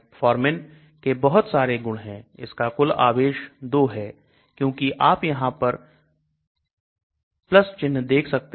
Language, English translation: Hindi, Again lot of properties of metformin; and net charge is 2 because see you can see plus charges are there